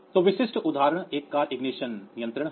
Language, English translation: Hindi, So, typical example is a car ignition control